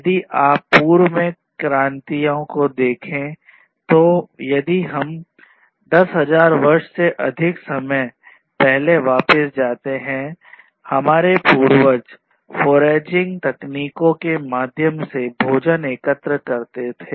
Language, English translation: Hindi, So, if you look at revolutions in the past earlier if we go back more than 10,000 years ago, our predecessors used to collect food through foraging techniques